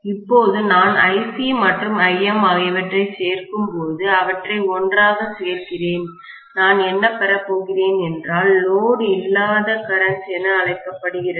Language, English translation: Tamil, Now, when I add them together right Ic and Im, I add them together, I am going to get what is known as the no load current